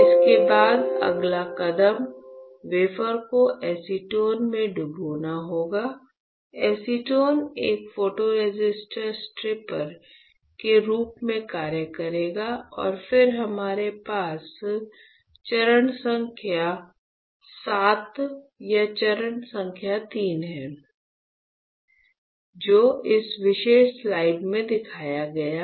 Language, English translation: Hindi, After this the next step will be to dip the wafer in acetone; acetone will act as a photoresistor stripper and then we have step number VII or step number III which is shown in this particular slide all right